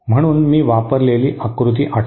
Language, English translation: Marathi, So recall that diagram that I had used